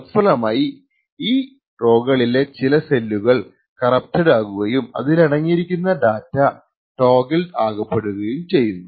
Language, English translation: Malayalam, The result is that certain cells on the adjacent rows may get corrupted and the data present in them may actually be toggled